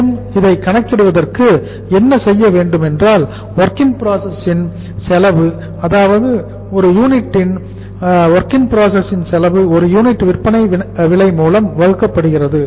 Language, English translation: Tamil, And for calculating this what we have to do is cost of WIP cost of WIP per unit divided by selling price per unit